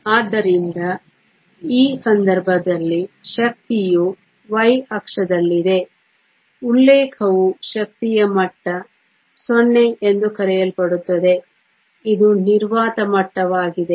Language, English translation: Kannada, So, in this case the energy is on the y axis the reference an energy level called 0 which is the vacuum level